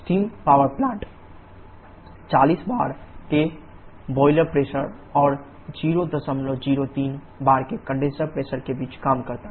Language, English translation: Hindi, A steam power plant operates between the boiler pressure of 40 bar and condenser pressure of 0